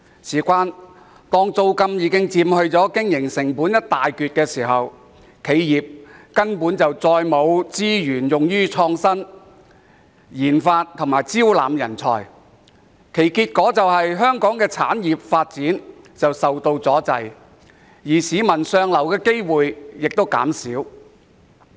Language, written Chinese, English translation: Cantonese, 由於租金已佔經營成本一大部分，企業根本沒有額外資源用於創新、研發和招攬人才，結果導致香港產業發展受阻，市民向上流的機會減少。, Since rents account for a substantial part of operating costs enterprises do not have additional resources for innovation research and development as well as recruitment of talents which in turn hinders the development of various industries in Hong Kong and reduces the opportunities for upward mobility for the people